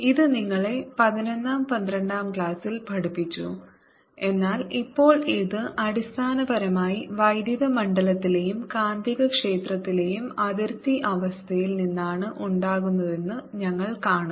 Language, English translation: Malayalam, this you been taught in you eleventh, twelfth, but now we see that this are arries, basically the boundary condition on electric field and magnetic field